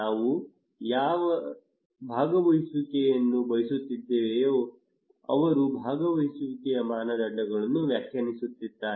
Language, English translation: Kannada, Those whose participations we are seeking for they will define the criteria of participations